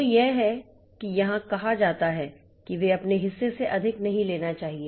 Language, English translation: Hindi, So, that is that is what is said here that they should not take more than their air share